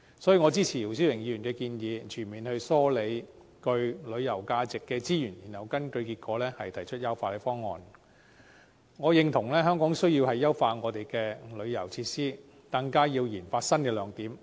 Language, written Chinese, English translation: Cantonese, 所以，我支持姚思榮議員的議案，要全面梳理具旅遊價值的資源，然後根據結果，提出優化方案。我認同香港需要優化旅遊設施，更要研發新的亮點。, Thus I support Mr YIU Si - wings motion on comprehensively collating resources with tourism values and based on the collation results proposing enhancement measures I agree that Hong Kong needs to enhance tourism facilities and develop new strengths